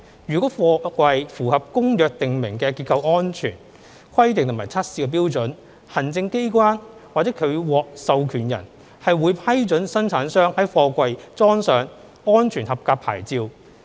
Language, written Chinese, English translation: Cantonese, 如果貨櫃符合《公約》訂明的結構安全規定和測試標準，行政機關或其獲授權人會批准生產商在貨櫃裝上"安全合格牌照"。, For a container which is in compliance with the structural safety requirements and testing standards as prescribed by the Convention the executive authorities or its recognized organizations will approve the affixing of an SAP to the container